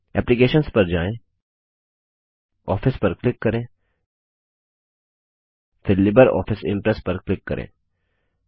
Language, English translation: Hindi, Let us Go to Applications,click on Office,then click on LibreOffice Impress